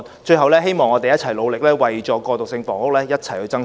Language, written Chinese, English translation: Cantonese, 最後，希望我們努力為過渡性房屋，一同爭取。, Lastly I hope we can work hard and strive for transitional housing together